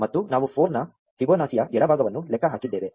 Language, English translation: Kannada, And we have computed the left side of Fibonacci of 4